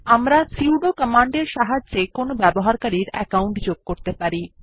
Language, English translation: Bengali, We can add any user account with the help of sudo command